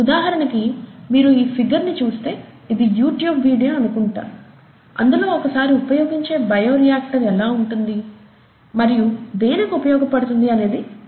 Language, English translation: Telugu, For example, if you see this figure, I think this is a video, YouTube it is a video, it will tell you how a single use bioreactor looks like, and what it is used for and so on